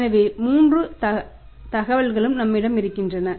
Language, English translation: Tamil, So, all the three information’s are available with us